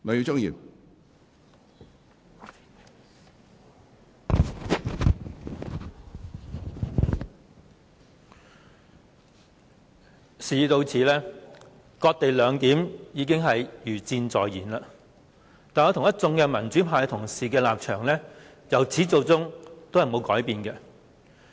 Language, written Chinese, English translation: Cantonese, 主席，事已到此，"割地兩檢"已是勢在必行，但我與一眾民主派同事的立場由始至終也沒有改變。, President as it stands the cession - based co - location arrangement will definitely be put in place but Members of the pro - democracy camp and I have not changed our stance from the beginning